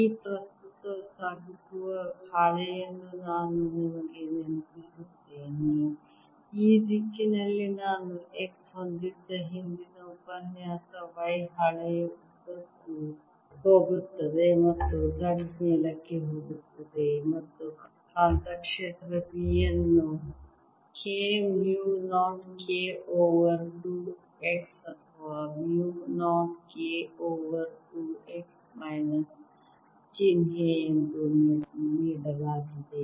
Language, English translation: Kannada, let me remind you, for this current carrying sheet, the previous lecture we had x is in this direction, y going along the sheet and z going up, and the magnetic field b was given as k, mu not k over two x or mu not k over two x, with the minus sign right